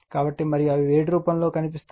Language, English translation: Telugu, So, and appear in the form of heat right